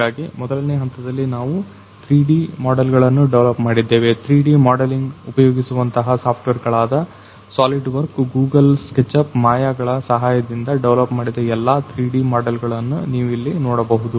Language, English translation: Kannada, So, in the first phase we developed the 3D models, you can see all the 3D models that is developed with the help of the software’s like solidworks, then Google sketch up, then Maya this kind of software we used for the 3D modelling